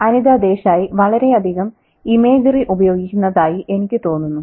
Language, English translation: Malayalam, It's, I think Anita Desa, she uses imagery quite a lot